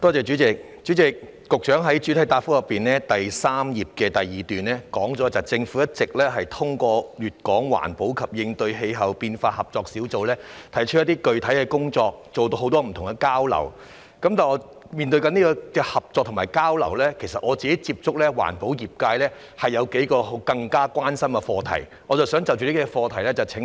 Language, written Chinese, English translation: Cantonese, 主席，局長在主體答覆第三頁第二部分提到，政府一直通過粵港環保及應對氣候變化合作小組提出一些具體的工作及進行很多交流，但就這些合作和交流來說，我曾接觸的環保業界其實有幾個更加關心的課題，我想就着這些課題向局長提問。, President in part 2 on the third page of the main reply the Secretary mentioned that the Government has proposed some concrete initiatives and conducted a lot of exchanges through the Hong Kong - Guangdong Joint Working Group on Environmental Protection and Combating Climate Change . But insofar as these collaborations and exchanges are concerned the environmental protection industry with which I have contacted is actually more concerned about several issues and I would like to ask the Secretary a question pertaining to these issues